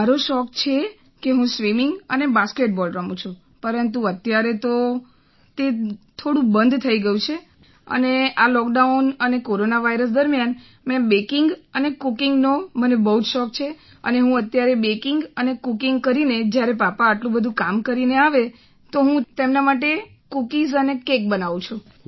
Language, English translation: Gujarati, My hobbies are swimming and basketball but now that has stopped a bit and during this lockdown and corona virus I have become very fond of baking and cooking and I do all the baking and cooking for my dad so when he returns after doing so much work then I make cookies and cakes for him